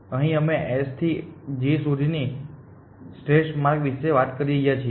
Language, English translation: Gujarati, Here we are talking about an optimal path from S to G